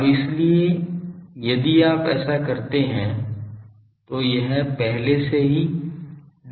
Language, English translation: Hindi, Now, so, if you do this already it is d theta